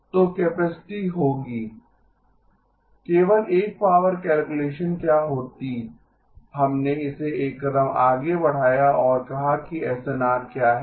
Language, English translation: Hindi, What would have been just a power calculation, we carried it one step further and said what is the SNR